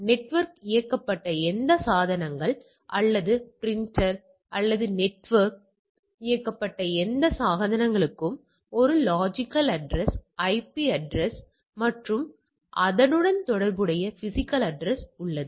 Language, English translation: Tamil, Any devices or a printer which are which can be network enabled any devices which are network enabled has a logical address or IP address and a corresponding physical address